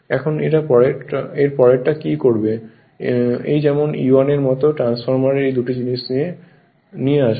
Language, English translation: Bengali, Now the next what will do next as this is E1 this is E1 like transformer so this these two things will come to this side will bring it right